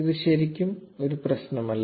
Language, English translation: Malayalam, It does not really matter